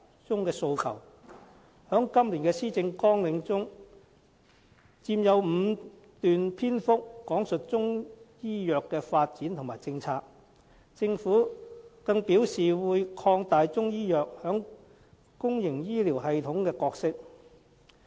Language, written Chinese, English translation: Cantonese, 在今年的施政綱領中，有5段篇幅講述中醫藥的發展和政策，政府更表示會擴大中醫藥在公營醫療系統的角色。, In this years Policy Agenda five paragraphs were dedicated to talking about Chinese medicine development and policy . The Government indicated that it will expand the role of Chinese medicine in the public health care system